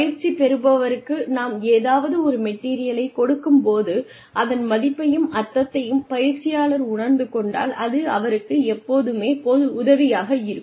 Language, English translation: Tamil, Whenever we give any material to the trainee, it always helps, if the trainee can see meaning , can see value, in whatever has been given, to the trainee